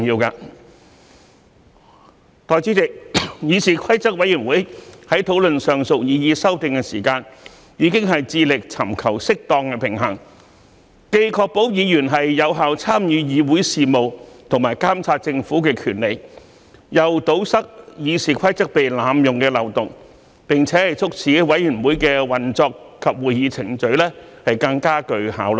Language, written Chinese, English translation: Cantonese, 代理主席，議事規則委員會在討論上述擬議修訂時，已致力尋求適當的平衡，既確保議員有效參與議會事務和監察政府的權利，又堵塞《議事規則》被濫用的漏洞，並促使委員會的運作及會議程序更具效率。, Deputy President in discussing the above proposed amendments CRoP has endeavoured to strike a proper balance between ensuring Members effective participation in Council business and their right to monitor the Government while plugging the loopholes of abuse of RoP and facilitating more efficient operation and proceedings of the committees